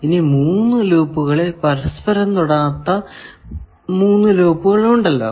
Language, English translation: Malayalam, And, among these three loops, is there any triplet of non touching loops